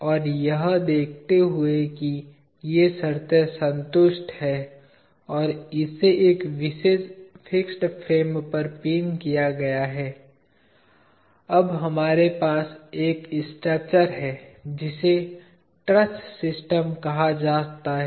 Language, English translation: Hindi, And the given that these conditions are satisfied and it is pinned to a particular fixed frame, we have a structure now, called the truss system